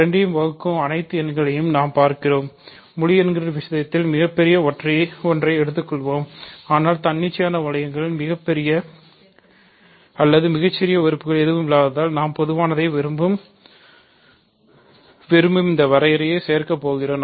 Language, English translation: Tamil, We look at all numbers that divide both of them and we take the largest one in the case of integers, but because there is no largest or smallest elements in arbitrary rings, we are going to stick to this definition where we want the common divisor to be divisible by every other common divisor